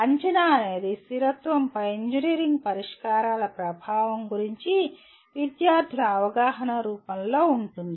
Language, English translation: Telugu, Assessment could be in the form of student’s perception of impact of engineering solutions on sustainability